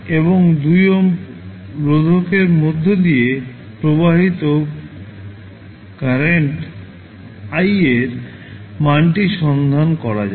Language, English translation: Bengali, And find out the value of current I which is flowing through the 2 ohm resistor